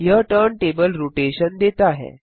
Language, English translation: Hindi, That gives us turntable rotation